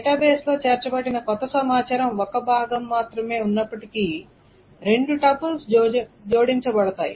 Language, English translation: Telugu, So even though there is only one piece of new information that is inserted into the database, two tuples are added